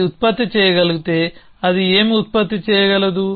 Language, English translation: Telugu, If it can produce so what can it produce